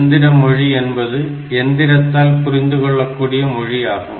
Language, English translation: Tamil, So, machine language; this is the language understood by the machine